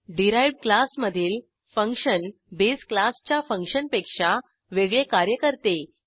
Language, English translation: Marathi, Derived class function can perform different operations from the base class